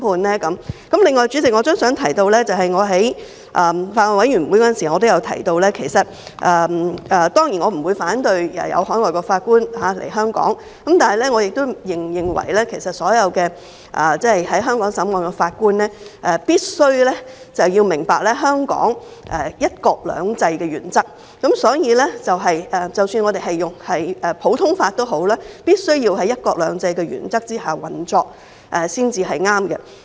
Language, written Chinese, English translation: Cantonese, 另外，代理主席，我也想提出，正如我曾在法案委員會中提到，當然，我不反對海外法官來香港，但是，我亦認為所有在香港審理案件的法官必須明白香港"一國兩制"的原則，即使我們採用普通法，但亦必須在"一國兩制"的原則下運作才是正確。, As I have mentioned in the Bills Committee I certainly do not oppose having overseas judges come to work in Hong Kong . However I also hold that all judges hearing cases in Hong Kong must understand the principle of one country two systems here . Even though we adopt the common law it must operate under the principle of one country two systems